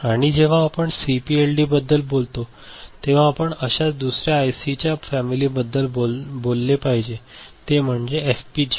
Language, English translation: Marathi, And when we talk about CPLD we should also talk about another such IC called family called, FPGA ok